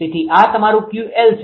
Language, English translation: Gujarati, So, this is your Q c